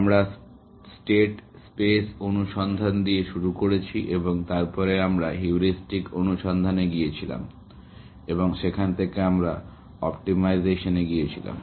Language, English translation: Bengali, We started with state space search and then, we went on to heuristic search and from there, we went to optimization